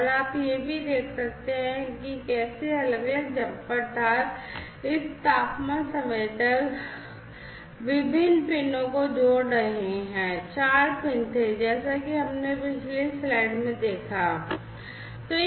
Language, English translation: Hindi, And also you can see over here how these different jumper wires are connecting this temperature sensor, this temperature sensor, the different pins, there were four pins as we have seen in the previous slide